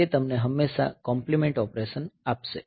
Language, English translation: Gujarati, So, it will always give you the complement operation